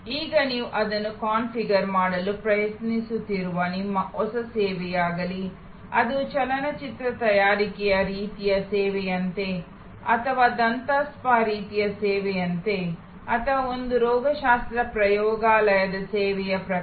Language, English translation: Kannada, Now, once you have identified that, whether it is your new service that you are trying to configure, whether it is like a movie making type of service or like a dental spa type of service or a pathology lab type of service